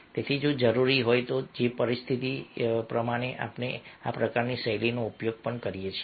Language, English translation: Gujarati, so if necessary, if the situation demands, we can also use this type of his style